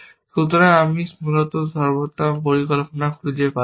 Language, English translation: Bengali, So, I cannot find optimal plan, essentially